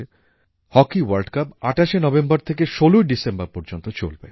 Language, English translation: Bengali, The Hockey World Cup will commence on the 28th November to be concluded on the 16th December